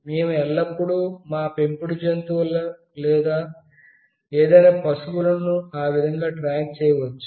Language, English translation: Telugu, We can always track our pets or any cattle in that way